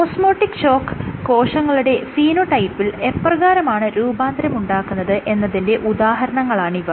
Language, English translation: Malayalam, So, these are examples of how an osmotic shock leads to alterations in the phenotype of the cells